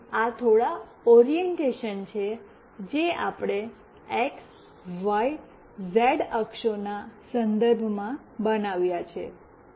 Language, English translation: Gujarati, So, these are the few orientation, which we have made with respect to x, y, z axis